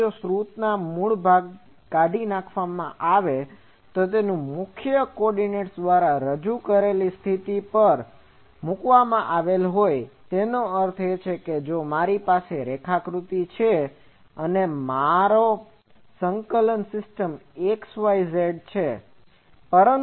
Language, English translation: Gujarati, So, if the source is removed from the origin and placed at a position represented by prime coordinates that means, if I has this diagram that this is my coordinate system xyz